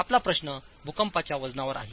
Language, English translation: Marathi, Your question is on seismic weight